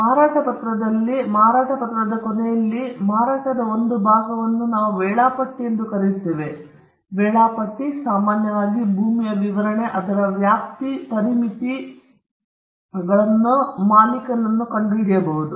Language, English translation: Kannada, In a sale deed, typically, you would find towards the end of the sale deed, a portion of the sale deed what we called the schedule the schedule normally has the description of the land, the extent of it, and also the boundaries of it